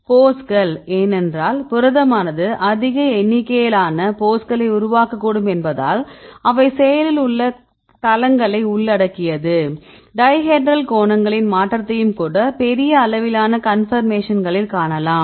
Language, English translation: Tamil, Poses right because the protein can form large number of poses, they involve active sites even the change of dihedral angles right you can see large amount of conformations